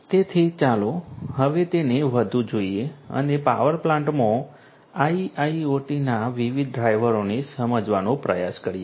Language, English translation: Gujarati, So, let us now look at further and try to understand the different drivers of IIoT in the power plant